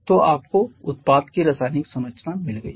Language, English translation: Hindi, So, you have got the chemical composition of the product